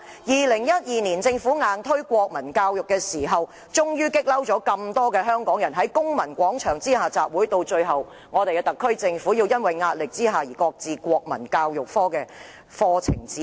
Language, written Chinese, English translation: Cantonese, 2012年，政府強行推出《德育及國民教育科課程指引》，惹怒很多香港人，群起在公民廣場集會，特區政府最終在壓力下而擱置課程指引。, In 2012 the Government forcibly published the Curriculum Guide of Moral and National Education subject which has sparked public outrage . Many Hong Kong people staged a rally at the civic square . In the end the Government shelved the Curriculum Guide under pressure